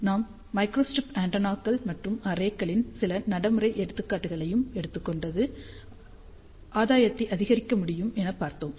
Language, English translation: Tamil, We also took some practical examples of microstrip antennas and arrays just to show you how gain can be increased